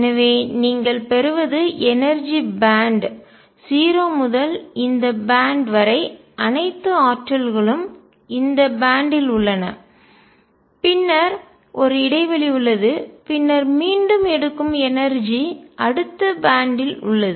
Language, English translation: Tamil, So, what you get is a band of energy, energy ranging from 0 to up to this band all the energies are in this band and then there is a gap and then the energy again picks up is in the next band